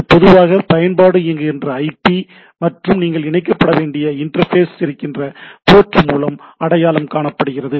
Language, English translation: Tamil, It is a typically identified by the IP where the application is running and the port where it’s the interface where you need to connect to